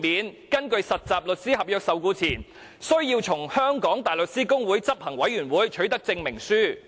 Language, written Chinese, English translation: Cantonese, 他們根據實習律師合約受僱前，須取得香港大律師公會執行委員會的證明書。, Before they are employed under a trainee solicitor contract they must obtain a certificate from the Bar Council of the Hong Kong Bar Association